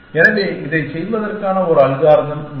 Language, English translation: Tamil, So, this is a different algorithm